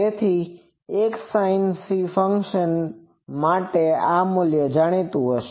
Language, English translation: Gujarati, So, for a sinc function, this value is known